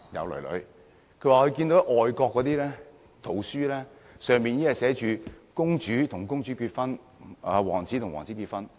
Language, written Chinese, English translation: Cantonese, 他們表示，現在外國的圖書寫的已經是公主跟公主結婚，王子跟王子結婚。, However they say that things have changed in overseas countries with story books depicting a princess marrying another princess or a prince marrying another prince